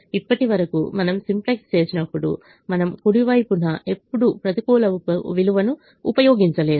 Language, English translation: Telugu, so far, when we have done simplex, we have never used a negative value on the right hand side